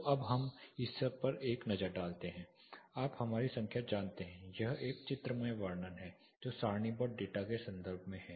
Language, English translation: Hindi, So, now let us take a look at this you know our numbers this is a graphical representation, what corresponds to in terms of tabular data